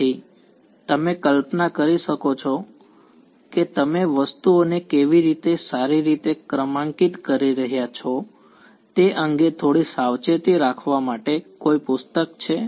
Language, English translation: Gujarati, So, you can imagine there is some book keeping to be little bit careful about how you are numbering things fine